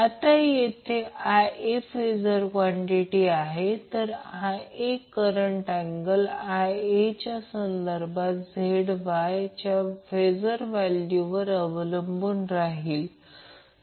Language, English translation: Marathi, Now here IA is the phasor quantity, so the angle of current IA with respect to VA will be depending upon the phasor value of ZY